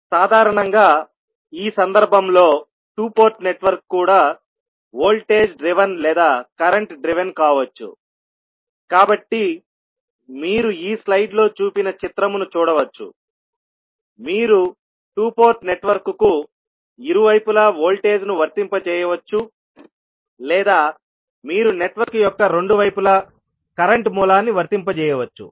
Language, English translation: Telugu, So basically the two port network in this case also can be the voltage driven or current driven, so you can see the figure shown in this slide that you can either apply voltage at both side of the two port network or you can apply current source at both side of the network